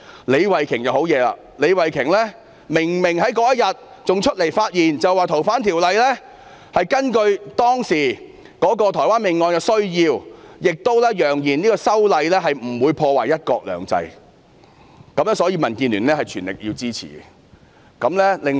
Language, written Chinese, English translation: Cantonese, 李慧琼議員同樣厲害，她當日明明站出來發言，指政府是根據當時台灣兇殺案的需要而修訂《逃犯條例》，亦揚言修例不會破壞"一國兩制"，所以民建聯會全力支持。, She came out to give a speech saying that the Government had proposed to amend FOO according to the needs of the Taiwan murder case back then . She also claimed that the legislative amendment would not undermine one country two systems so the Democratic Alliance for the Betterment and Progress of Hong Kong would lend it their full support . Another Honourable colleague Dr Priscilla LEUNG certainly expressed her support beforehand